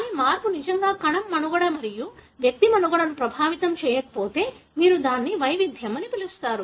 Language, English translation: Telugu, But, if the change does not really affect the survival of the cell and survival of the individual, then you call it as variation